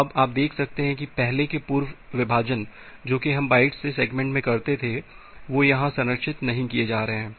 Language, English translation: Hindi, So now, you can see that the earlier earlier division that were that we had from bytes to segment that was not being preserved here